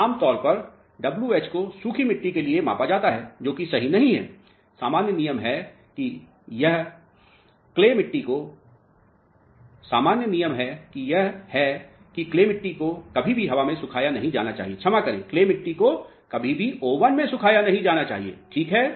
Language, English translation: Hindi, Normally, w h is measured for air dried soils which is not correct see thumb rule is clay should never the air dried, sorry clay should never be oven dried alright